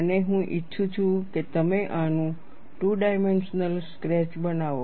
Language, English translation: Gujarati, And I would like you to make a two dimensional sketch of this